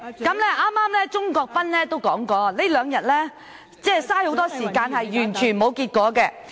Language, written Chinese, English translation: Cantonese, 剛才鍾國斌議員提到，這兩天浪費了很多時間卻毫無結果......, Just now Mr CHUNG Kwok - pan mentioned that in these two days a lot of time has been wasted but to no avail